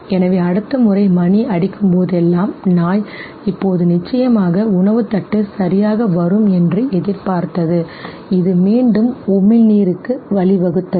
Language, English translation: Tamil, Hence, next time onwards whenever the bell will be rung the dog used to anticipate that now definitely the food pallet will come okay, and this again led to salivation